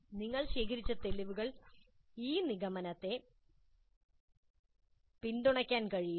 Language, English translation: Malayalam, Can this conclusion be supported by the evidence that you have gathered